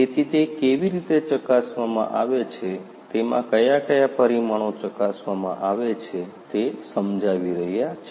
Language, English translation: Gujarati, So, how it is checked, what are the parameters that are checked is going to be explained